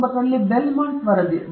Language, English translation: Kannada, Then Belmont report in 1979